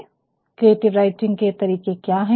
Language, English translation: Hindi, And, what are the types of creative writing